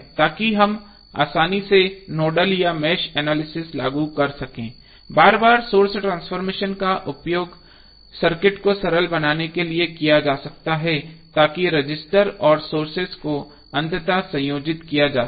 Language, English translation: Hindi, So that we can easily apply over nodal or mesh analysis, repeated source transformation can be used to simplify the circuit by allowing resistors and sources to eventually be combine